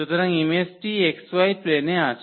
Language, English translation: Bengali, So, the image is there in the x y plane